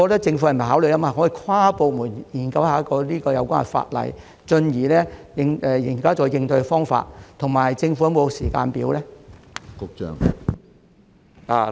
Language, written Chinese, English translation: Cantonese, 政府是否可以考慮跨部門研究有關法例，進而採納應對方法，以及政府是否有時間表呢？, Can the Government consider conducting an inter - departmental study of the law before adopting response measures and does the Government have a timetable?